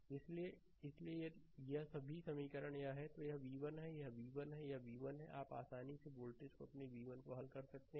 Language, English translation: Hindi, So, ah; so, if this all equation this is this is v 1, this is v 1, this is v 1, you can easily solve for voltage your v 1, right